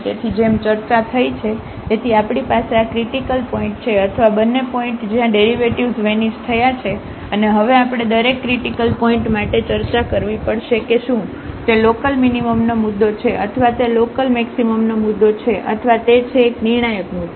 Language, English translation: Gujarati, So, as discussed, so we have these 1 2 3 4 5 these 5 critical points or the points where both the derivatives vanished and now we have to discuss for each critical point that whether it is a point of local minimum or it is a point of local maximum or it is a critical point